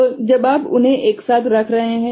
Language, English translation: Hindi, So, when you are putting them together